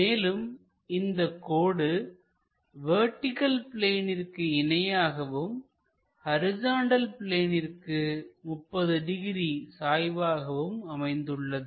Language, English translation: Tamil, And, this line is parallel to vertical plane and inclined to horizontal plane at 30 degrees